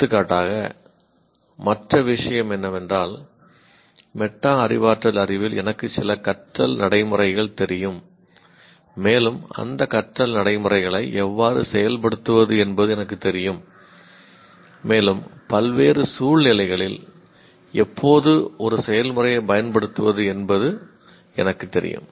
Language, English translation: Tamil, For example, the other thing is in metacognitive knowledge, I know some learning procedures and I know how to implement those learning procedures and also I know when to apply a process in various situations